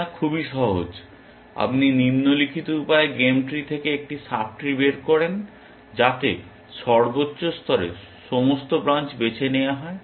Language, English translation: Bengali, It is very simple, you extract a sub tree from the game tree in the following fashion that at max level choose all branches